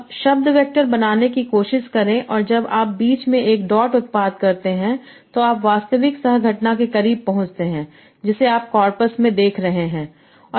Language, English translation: Hindi, Now try to make word vectors such that when you do a dot product between two words, you get close to the actual coquence that you are seeing in the corpus